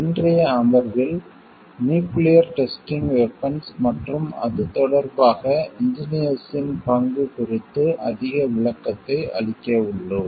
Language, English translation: Tamil, In today s session we are going to give a greater coverage on nuclear testing weapons and, the role of engineers with in relation to that